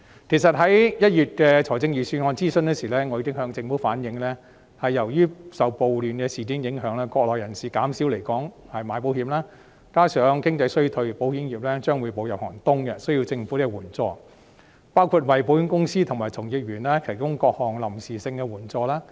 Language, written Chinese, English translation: Cantonese, 其實，在1月的預算案諮詢時，我已經向政府反映，由於受暴亂事件的影響，國內人士減少來港購買保險，加上經濟衰退，保險業將會步入寒冬，需要政府援助，包括為保險公司和從業員提供各項臨時性的援助。, In fact during the Budget consultation in January I had already relayed to the Government that due to the ramifications of riots Mainland people had reduced their purchase of insurance products in Hong Kong . This coupled with the economic recession meant that the insurance industry would encounter a cold winter and be in need of government support including the provision of various types of temporary support to insurance companies and practitioners